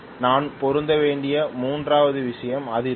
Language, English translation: Tamil, The third thing I have to match is the frequency